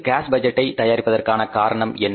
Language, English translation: Tamil, How to prepare the cash budget